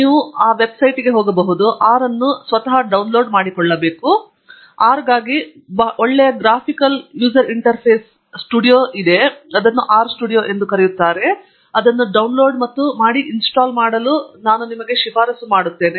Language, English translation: Kannada, You can just go to the website, download R; and for R, there is a very nice graphical user interface GUI called the R studio, and I strongly recommend you download that and install